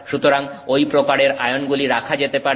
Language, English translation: Bengali, So, those kinds of ions can be put